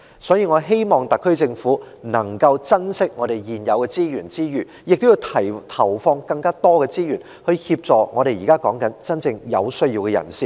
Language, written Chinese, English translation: Cantonese, 所以，我希望特區政府在珍惜現有的資源之餘，亦要投放更多資源協助真正有需要的人士。, I thus hope that the SAR Government will not only cherish the existing resources but also allocate more resources to assist those in genuine need